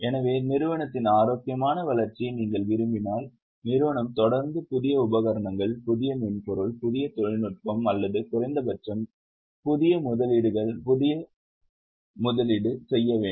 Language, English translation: Tamil, So if you want a healthy growth of the company, company has to continuously make investments in new equipment, new software, new technology or at least in new investments